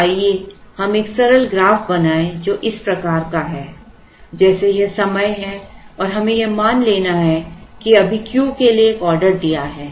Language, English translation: Hindi, So, let us draw a simple graph which is like this is time and let us assume that we have just placed an order for Q